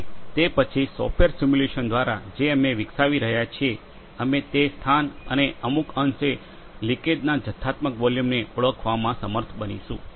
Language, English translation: Gujarati, And then, through a software simulation we are which we are developing, we will at be able to identify the location and some extent the quantitative volume of the leakage